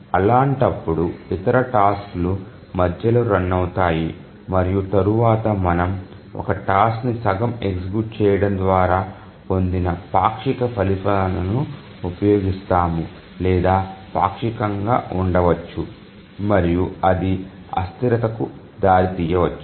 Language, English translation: Telugu, So, in that case, other tasks may run in between and they may use the partial results obtained by executing a task halfway or maybe partially and that may lead to inconsistency